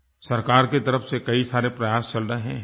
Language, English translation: Hindi, There are many efforts being made by the government